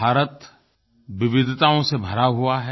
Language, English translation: Hindi, India is land of diversities